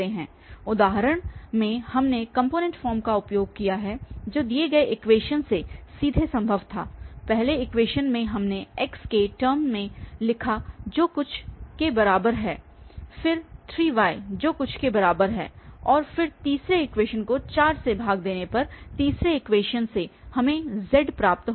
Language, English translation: Hindi, In the previous example, we have used the component form which was directly possible from the given equation, from the first equation we have written in term of x equal to something, then from 3y equal to and then 3 was dividend from the fourth, from the third equation we got z from here